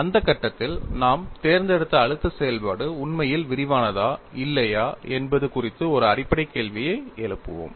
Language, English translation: Tamil, At that stage, we will come back and raise a very fundamental question, whether the stress function we have selected is indeed comprehensive or not